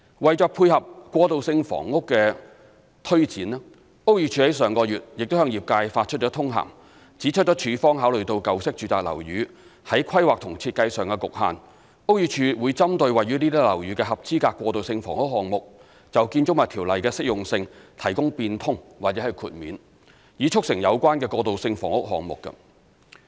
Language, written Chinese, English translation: Cantonese, 為配合過渡性房屋的推展，屋宇署於上月亦向業界發出通函，指出署方考慮到舊式住宅樓宇在規劃及設計上的局限，屋宇署會針對位於這些樓宇的合資格過渡性房屋項目，就《條例》的適用性提供變通或豁免，以促成有關的過渡性房屋項目。, To accommodate the implementation of transitional housing BD issued a circular letter to the industry last month indicating that it may grant modification or exemption under BO for eligible transitional housing projects in old domestic buildings given their planning and design constraints